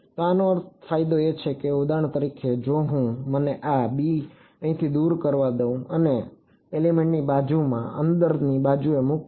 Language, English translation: Gujarati, So, the advantage of this is that for example, if I let me remove this b from here and put it on the inside adjacent to this element